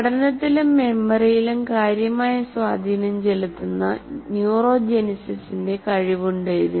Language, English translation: Malayalam, It has the capability of neurogenesis which has significant impact on learning and memory